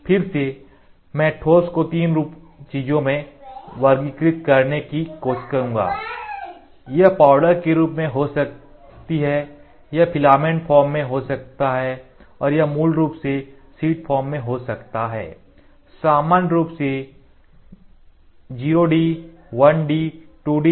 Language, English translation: Hindi, Again I will try to classify in solid form also 3 things it can be in powder form; it can be in filament form, it can be in sheet form basically 0 D, 1 D, 2 D, liquid form as you know it is it is very easy for processing, ok